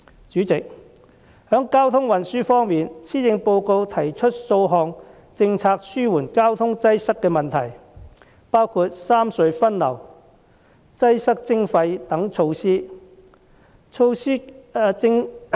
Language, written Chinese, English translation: Cantonese, 主席，在交通運輸方面，施政報告提出數項政策紓緩交通擠塞的問題，包括三隧分流，擠塞徵費等措施。, President on transportation the Policy Address puts forth several policies to alleviate congestion including such measures as the re - distribution of traffic among the three cross - harbour tunnels and congestion charging